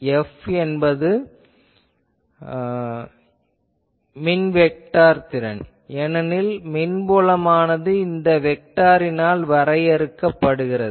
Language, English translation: Tamil, F is electric vector potential because electric field is getting defined by this vector function